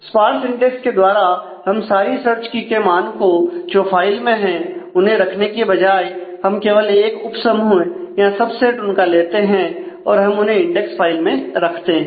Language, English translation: Hindi, With parse index it means that instead of maintaining all the search key values that exist in the file we just take a subset of that and we maintain those in the index file